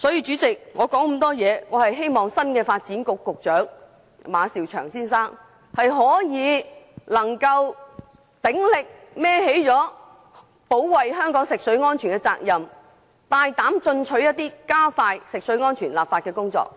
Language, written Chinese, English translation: Cantonese, 主席，我說了這麼多，無非是希望新任發展局局長馬紹祥先生能鼎力負起保衞香港食水安全的責任，更加大膽進取地加快進行食水安全的立法工作。, President I have spoken for such a long and my only hope is that the new Secretary for Development Mr Eric MA will vigorously shoulder the duty of protecting drinking water safety in Hong Kong and courageously and proactively speed up the enactment of drinking water safety